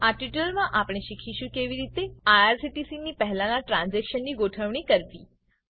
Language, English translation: Gujarati, In this tutorial, we will learn how to manage the earlier transactions of irctc